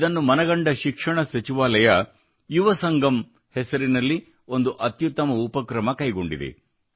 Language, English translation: Kannada, Keeping this in view, the Ministry of Education has taken an excellent initiative named 'Yuvasangam'